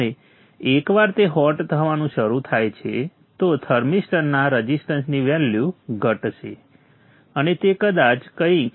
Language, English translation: Gujarati, And once that starts becoming hot, the resistance value of the thermistor will decrease and it may probably become the order of something 0